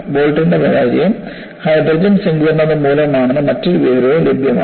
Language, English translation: Malayalam, And, another information is also available, that the failure of the bolt is due to hydrogen embrittlement